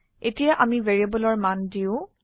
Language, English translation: Assamese, Now lets give values to our variables